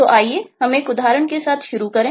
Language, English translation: Hindi, so let us start with illustrative example